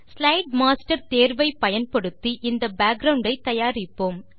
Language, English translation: Tamil, We shall use the Slide Master option to create this background